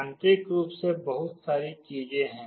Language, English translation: Hindi, Internally there are a lot of things